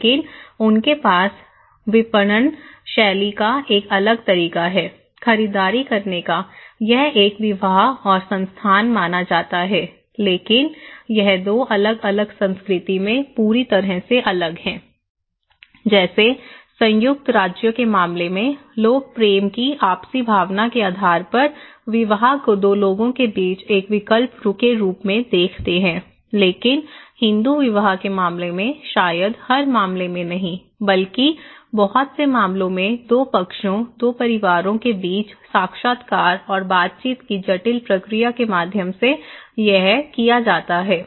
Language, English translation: Hindi, But they have a different way of marketing style, doing shopping; this is considered to be an marriage and institutions but it is completely different in 2 different culture like, in case of United States people tend to view marriage as a choice between two people based on mutual feeling of love but in case of Hindu marriage, maybe in not in every cases but in a lot of cases is arranged through an intricate process of interviews and negotiations between two parties, two families, right